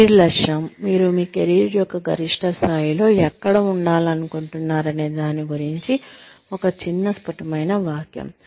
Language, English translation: Telugu, Career objective is, one short crisp sentence about, where you want to be, at the peak of your career